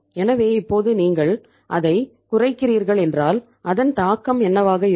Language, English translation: Tamil, So now what will be the impact of it if you are reducing it